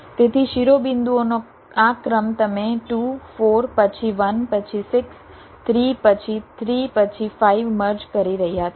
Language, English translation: Gujarati, so this sequence of vertices: you are merging two, four, then one, then six, three, then three, then five